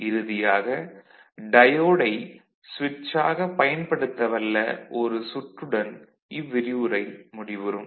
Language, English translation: Tamil, And finally, we will end up with one small circuit that is use of diode as a switch